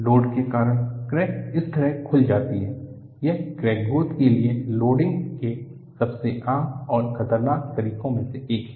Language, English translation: Hindi, Because of the load, the crack opens up like this, this is one of the most common and dangerous modes of loading for crack growth